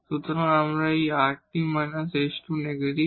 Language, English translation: Bengali, So, this time now this rt minus s square is negative